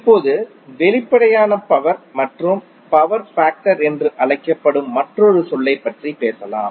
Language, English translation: Tamil, Now let’s talk about another term called apparent power and the power factor